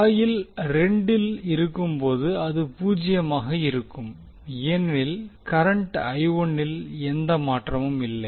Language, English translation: Tamil, While in coil 2, it will be zero because there is no change in I 1